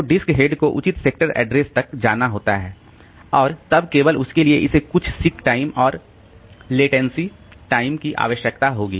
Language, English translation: Hindi, So, the disk head has to go to proper sector address and then only for that it will require some seek time and some latency time